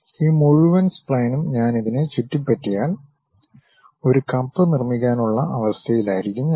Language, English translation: Malayalam, If I revolve this entire spline around this one, I will be in a position to construct a cup